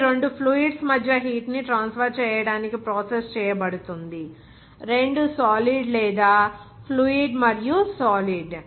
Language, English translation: Telugu, It is processed to transfer heat between two fluids, two solid or fluid and solid